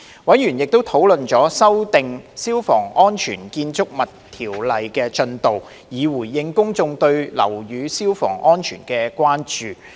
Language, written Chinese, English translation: Cantonese, 委員亦討論了修訂《消防安全條例》的進度，以回應公眾對樓宇消防安全的關注。, Members also discussed the progress of the amendment of the Fire Safety Buildings Ordinance so as to respond to public concern about fire safety of buildings